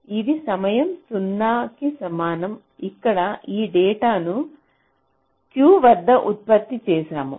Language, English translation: Telugu, this is my time t equal to zero, where we have generated this data at q